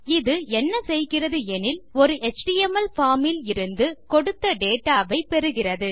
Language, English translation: Tamil, What it basically does is, it takes submitted data from an HTML form